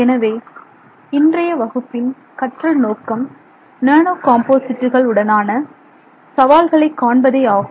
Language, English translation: Tamil, So, our learning objectives for today's class are to look at these challenges with respect to nano composites